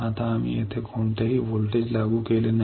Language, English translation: Marathi, Now we have not applied any voltage here